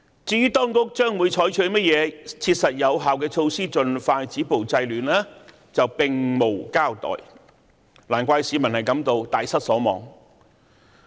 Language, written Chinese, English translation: Cantonese, "至於當局將會採取甚麼切實有效的措施盡快止暴制亂，卻並無交代，難怪市民大失所望。, But the Government did not mention what practical and effective measures the Administration would take to stop violence and curb disorder as soon as possible . No wonder the public were completely disappointed